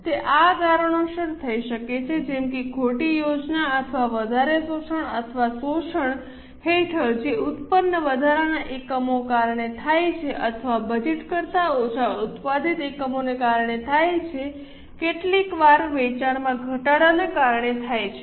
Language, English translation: Gujarati, They may happen because of these reasons like wrong planning or over absorption or under absorption, which happens due to extra units produced or less units produced than what was budgeted